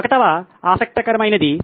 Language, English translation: Telugu, The 1st one is interesting